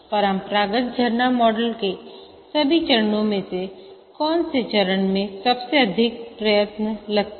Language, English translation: Hindi, Out of all the phases in the classical waterfall model, which phase takes the most effort